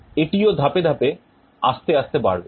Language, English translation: Bengali, It will also increase slowly in steps